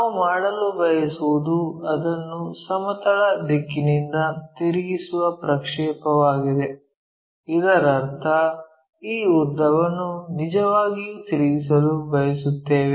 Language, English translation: Kannada, What we want to do is project that one rotate it by horizontal direction; that means, this length we want to really rotate it